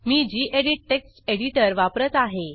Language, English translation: Marathi, I am using gedit text editor